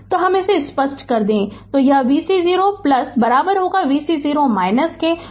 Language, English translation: Hindi, So, this is your v c 0 plus is equal to v c 0 minus is equal to 10 volt